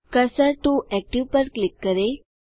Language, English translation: Hindi, Click Cursor to active